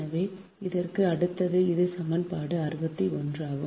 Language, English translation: Tamil, so between this next is: this is equation sixty one